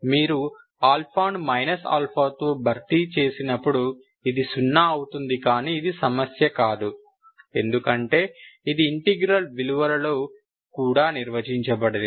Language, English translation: Telugu, And replace alpha with minus alpha this becomes zero but this cannot be, this is not a problem because this is not even defined at these values